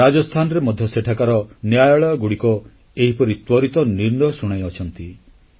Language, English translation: Odia, Courts in Rajasthan have also taken similar quick decisions